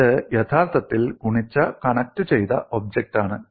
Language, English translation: Malayalam, It is actually a multiply connected object